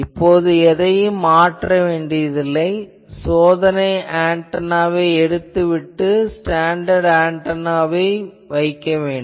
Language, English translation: Tamil, Now, nothing should be changed only change the test antenna and replace it with a standard antenna